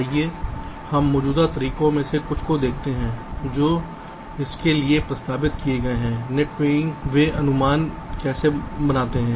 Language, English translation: Hindi, lets look at some of the existing methods which have been proposed for this net weighting, how they how they make the estimates